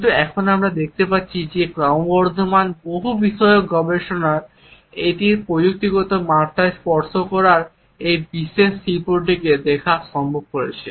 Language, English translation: Bengali, But now we find that the increasingly multidisciplinary research has made it possible to look at this particular art of touching in its technological dimensions